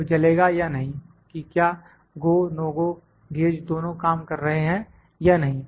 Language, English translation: Hindi, Bulb on the gets on or does not get on; whether the go, no go gauges both are working or not